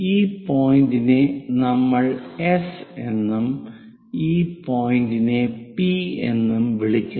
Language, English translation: Malayalam, This point what we are calling S and this point as P